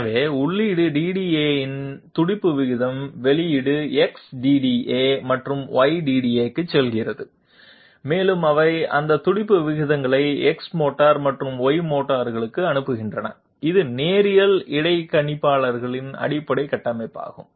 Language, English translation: Tamil, So the pulse rate output of the feed DDA goes to X DDA and Y DDA and they send out their respective pulse rates to the X motor and the Y motor, this is the basic structure of the linear interpolator